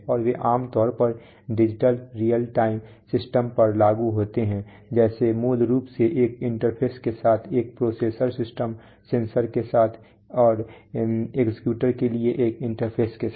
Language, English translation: Hindi, And they are implemented typically on digital real time systems like basically a processor system with an interface, with the sensors and with an interface to the actuators